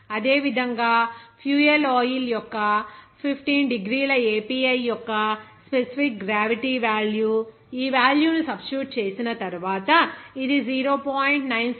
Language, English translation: Telugu, Similarly, the specific gravity of 15 degree API of fuel oil, it will be as after substitution of this value, it will be 0